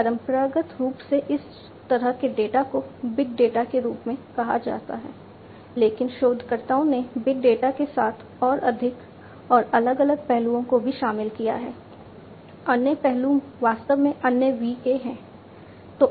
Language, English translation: Hindi, These kind of data traditionally were termed as big data, but as researchers you know what with big data more and more they also included few more different other aspects; other aspects other V’s in fact